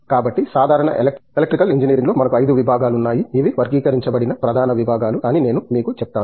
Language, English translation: Telugu, So, let me also tell you that in general Electrical Engineering we have 5 disciplines, major disciplines we used to classify